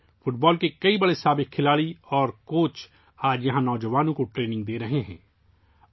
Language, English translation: Urdu, Today, many noted former football players and coaches are imparting training to the youth here